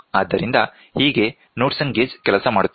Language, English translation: Kannada, So, this is how Knudsen gauge works